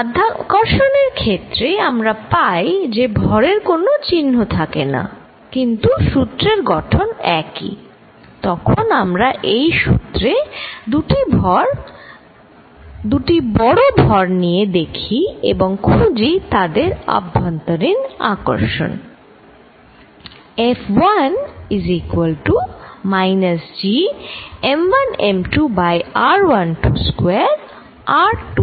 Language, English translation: Bengali, In gravitation, we have mass does not have a sign, but the form of the law is the same, the way when could check this law by taking too large masses and find in the force of attraction between them